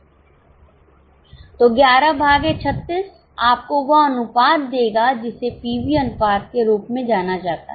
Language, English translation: Hindi, So, 11 upon 36 will give you this ratio known as pv ratio